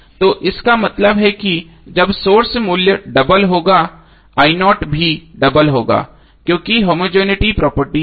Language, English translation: Hindi, So it means that when sources value is double i0 value will also be double because of homogeneity property